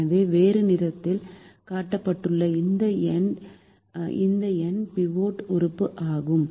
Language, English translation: Tamil, so this number shown in a different color is the pivot element